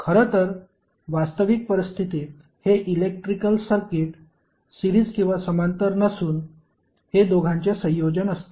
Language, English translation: Marathi, But actually in real scenario this electrical circuit will not be series or parallel, it will be combination of both